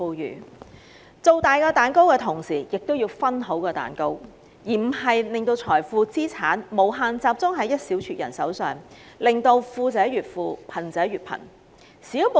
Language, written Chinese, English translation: Cantonese, 因此，政府在"造大蛋糕"的同時，亦要"分好蛋糕"，而不是讓所有財富及資產集中於一小撮人手上，令富者越富、貧者越貧。, To this end the Government has to while enlarging the cake ensure fair division of the cake instead of leaving all wealth and assets in the hands of just a few people which will make the rich richer and the poor poorer